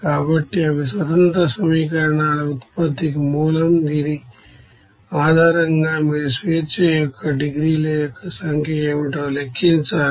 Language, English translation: Telugu, So these are the source of generating of those independent equations based on which you have to calculate what should be the number of degrees of freedom